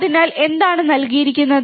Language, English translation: Malayalam, So, what is the given